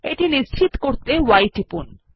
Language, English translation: Bengali, I will confirm this by entering y